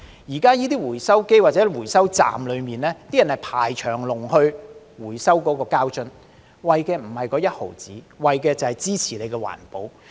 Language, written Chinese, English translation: Cantonese, 現在這些回收機或回收站裏，大家是排隊等候回收膠樽，為的並非1毫子，為的是支持環保。, Now people are waiting in line around these recycling machines or inside these collection points to recycle plastic bottles . They do so not for the 0.1 rebate but in support of environmental protection